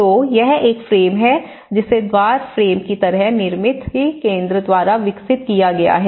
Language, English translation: Hindi, So, this is a frame which has been developed by Nirmithi Kendra like a door frame